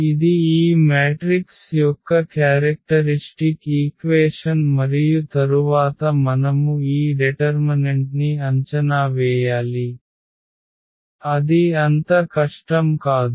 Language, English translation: Telugu, So, that is the characteristic equation of this matrix and then we have to evaluate this determinant which is not so difficult